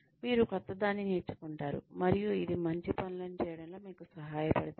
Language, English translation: Telugu, You learn something new, and it helps you do things better